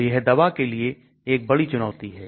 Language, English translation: Hindi, So that is a big challenge for that drug